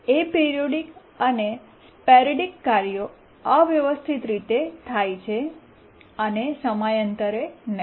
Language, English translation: Gujarati, The aperidic and sporadic tasks, they don't occur periodically